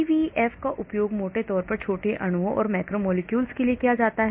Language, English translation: Hindi, CVF is broadly used for small molecules and macromolecules